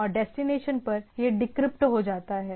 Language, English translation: Hindi, And at the destination it gets deciphered